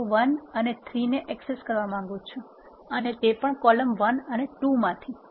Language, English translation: Gujarati, I want to access rows 1 to 3 and also access columns 1 to 2 do